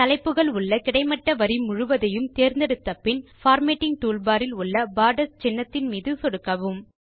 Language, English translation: Tamil, After selecting the entire horizontal row containing the headings, click on the Borders icon on the Formatting toolbar